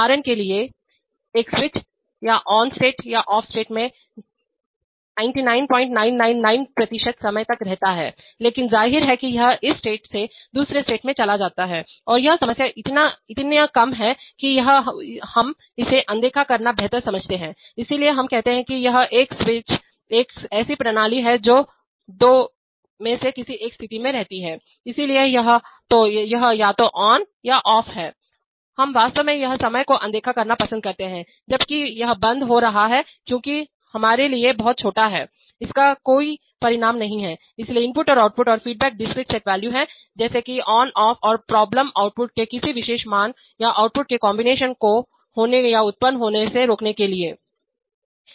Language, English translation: Hindi, 999 percent of the time in on state or off state but obviously it goes from the on state to the off state and that timing is so short that we choose to ignore it, so we say that it is a switch is a system which stays in either one of the one of two states, so it is either on or off, we actually choose to ignore the times when it is going from on to off because it is too small enough no consequence for us, so in that sense the inputs and outputs and feedbacks are discrete set valued, like on off and the problem is to cause or prevent occurrences of either particular values of outputs or combinations of outputs